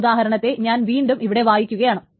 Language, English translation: Malayalam, So let me redraw the example here once more